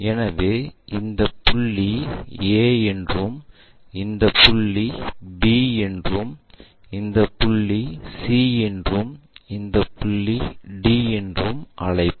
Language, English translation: Tamil, So, let us call this is point A and this is point B and this is point C and this is point D